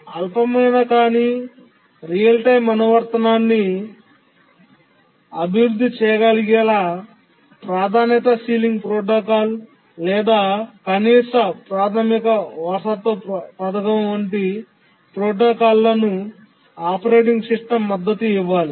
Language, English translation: Telugu, Support for resource sharing protocols, protocols such as priority sealing protocol, or at the basic inheritance scheme should be supported by the operating system to be able to develop any non trivial real time application